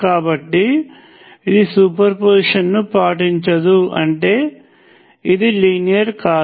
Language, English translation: Telugu, So, it does not obey superposition which means that it is not linear